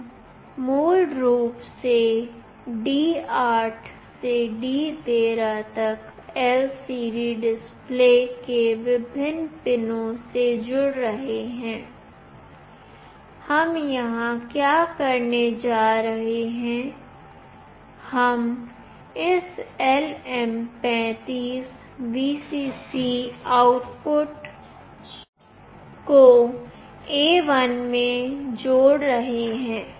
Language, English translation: Hindi, We are basically connecting from D8 to D13 to various pins of the LCD display, what we are going here to do is that, we are connecting this LM35 VCC output to pin A1